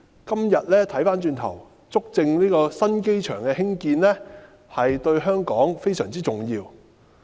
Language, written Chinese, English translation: Cantonese, 今天回望過去，足證新機場的興建對香港非常重要。, When we look back today the construction of the new airport has proven to be of great importance to Hong Kong